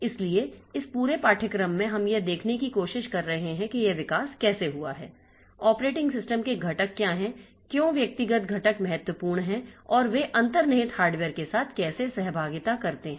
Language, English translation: Hindi, So, in this entire course, what we are trying to see is how this evolution has taken place, what are the components of the operating system, why the individual components are important and how they interact with the underlying hardware